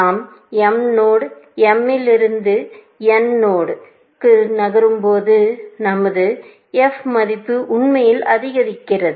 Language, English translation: Tamil, As we move from node m to node n, our f value actually increases, essentially